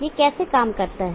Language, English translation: Hindi, So how does this operate